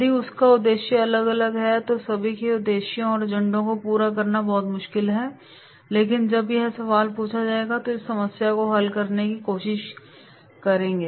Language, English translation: Hindi, If he is having different objective and agenda then it will be very difficult to fulfil everyone’s objectives and agenda however, when he will ask the question try to get learn to solve this problem